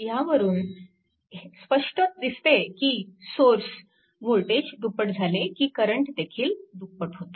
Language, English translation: Marathi, So, this clearly shows that when source voltage is doubled i 0 also doubled